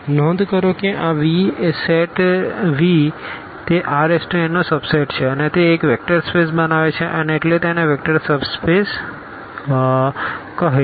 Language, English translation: Gujarati, Note that this V the set V is a subset of is a subset of this R n and forms a vector space and therefore, this is called also vector subspace